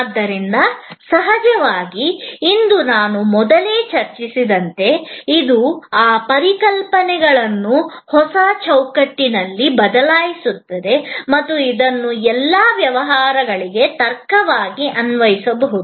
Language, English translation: Kannada, But, of course, today as I have already discussed earlier, today those concepts are being replaced by a new framework, which can be applied as a logic to all businesses